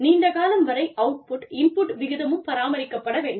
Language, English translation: Tamil, The output input ratio, needs to be maintained, over a long period of time